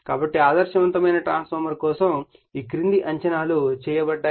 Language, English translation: Telugu, So, following assumptions are made for an ideal transformer